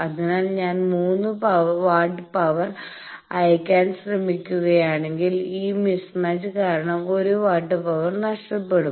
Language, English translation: Malayalam, So, if I am trying to send three watts of power one watt power will be lost due to this mismatch